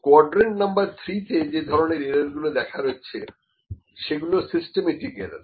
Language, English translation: Bengali, This is in quadrant number 3, the kind of error that is there is a systematic error